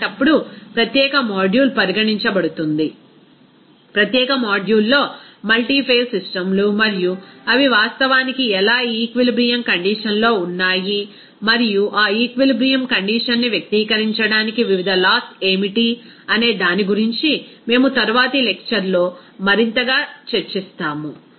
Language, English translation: Telugu, In that case, the separate module will be considered, in the separate module, we will discuss something more that multiphase systems and how they actually lie in an equilibrium condition and what are the different laws to express that equilibrium condition will be discussing in the next lecture